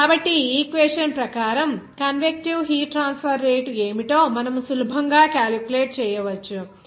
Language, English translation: Telugu, So, according to this equation, you can easily calculate what should be the convective heat transfer rate